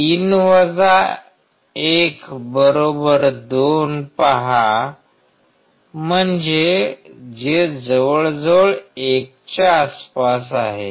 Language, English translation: Marathi, See 3 1=2; so, which is approximately close to 1, close to 1